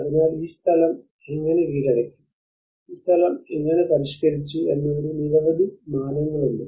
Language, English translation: Malayalam, So there are many dimensions of how this place is conquered and how this place is modified